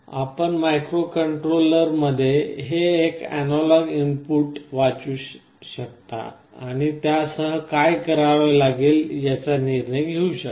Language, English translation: Marathi, You can read this analog input in the microcontroller and take a decision what to do with that